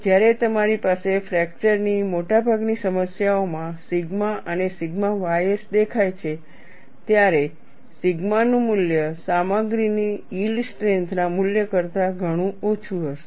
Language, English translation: Gujarati, When you have sigma and sigma ys appearing here in most of the fracture problems, the value of sigma will be far below the value of yield strength of the material